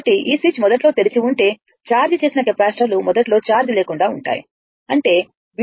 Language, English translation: Telugu, So, if you if that the switch was initially open right and capacitor that your charged capacitors are initially uncharged right, so; that means, V 1 0 is equal to your V 4 0 is equal to 0